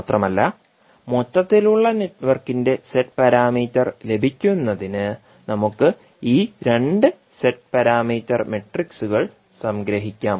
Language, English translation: Malayalam, So, with this we can say that the Z parameters of the overall network are the sum of the Z parameters of the individual networks